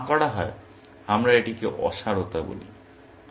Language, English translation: Bengali, If none, we call it futility